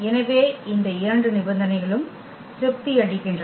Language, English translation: Tamil, So, both the conditions are satisfied